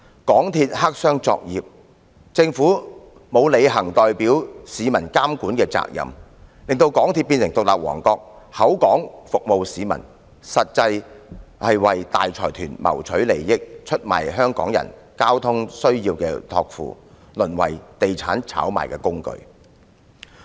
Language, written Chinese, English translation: Cantonese, 港鐵公司黑箱作業，政府沒有履行代表市民監管的責任，使港鐵公司變成獨立王國，口說服務市民，實際上為大財團謀取利益，出賣香港人對交通需要的託付，淪為炒賣地產的工具。, MTRCL has been engaging in black - box operations but the Government fails to perform monitoring functions on behalf of the public . Against this background MTRCL has become an independent kingdom purporting to serve the community . It is in fact funnelling benefits to those large consortia betraying the publics entrustment of their transport needs and it finally becomes a tool of property speculation